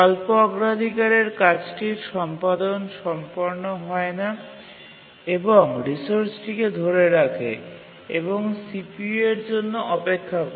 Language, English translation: Bengali, The low priority task cannot complete its execution, it just keeps on holding the resource and waits for the CPU